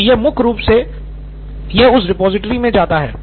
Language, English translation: Hindi, So it will keep going into that repository